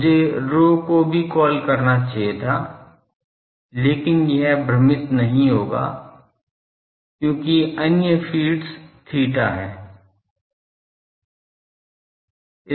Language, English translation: Hindi, I should have call the rho dash also, but it would not get confused because the other feeds thing is theta